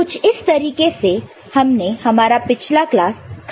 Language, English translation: Hindi, So, this is what, how we ended in the last class